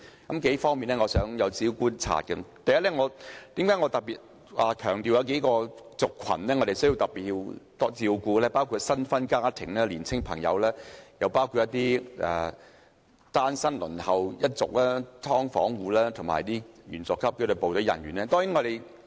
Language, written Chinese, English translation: Cantonese, 我就數方面的觀察所得如下：第一，我特別強調數個族群，我們需要特別照顧新婚家庭、青年人、輪候公屋的單身人士、"劏房戶"及紀律部隊員佐級人員。, I have made several observations first I have specially mentioned several groups of people including households of newly - wed couples young people singletons waiting for public rental housing PRH residents of subdivided units and rank - and - file staff of the disciplined services